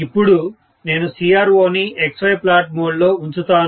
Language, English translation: Telugu, So, I will put the CRO in XY plot mode